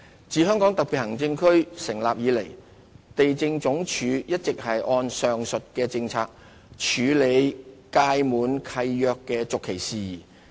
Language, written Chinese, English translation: Cantonese, 自香港特別行政區成立以來，地政總署一直按上述的政策處理屆滿契約的續期事宜。, Since the establishment of the HKSAR the Lands Department LandsD has been dealing with matters related to the extension of leases in accordance with the aforementioned policy